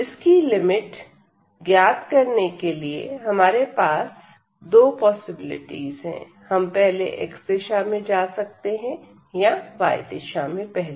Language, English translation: Hindi, So, to get this these limits here again we have both the possibilities we can go first in the direction of x or we can go in the direction of y first